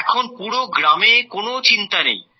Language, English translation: Bengali, Now there is no tension in the whole village